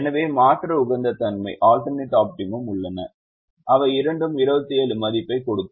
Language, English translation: Tamil, so we would get alternate optimum and all of them having twenty seven as the value